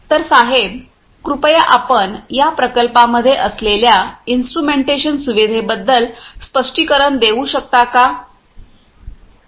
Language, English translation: Marathi, So, sir could you please explain about the instrumentation facility that you have in this plant